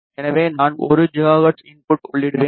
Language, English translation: Tamil, So, I will enter 1 gigahertz enter